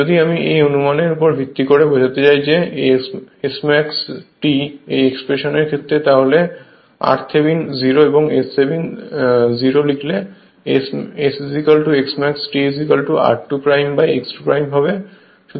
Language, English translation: Bengali, If you I mean based in this assumption you substitute those your S max t your S max t your what you call your expression, you put r Thevenin 0 and S Thevenin 0 you will get S is equal to S max t is equal to r 2 dash upon x 2 dash